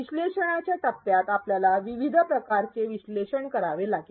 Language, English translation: Marathi, In the analyze phase, we have to do a number of different types of analysis